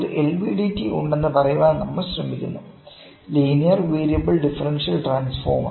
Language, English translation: Malayalam, We are trying to say that there is a LVDT; Linear Variable Differential transformer